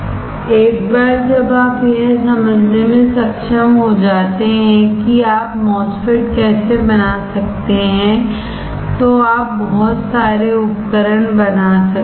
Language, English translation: Hindi, Once you are able to understand how you can fabricate a MOSFET, then you can fabricate lot of devices